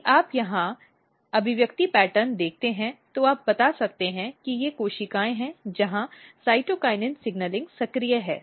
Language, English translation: Hindi, So, if you see expression pattern here, you tells that these are the cells where cytokinin signaling are active